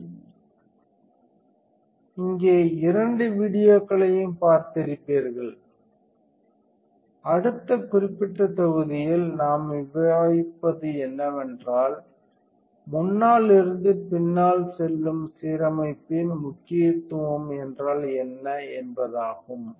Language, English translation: Tamil, Ok, so, since here you have seen both the videos what we will be discussing in the next particular module is what is the importance of front to back alignment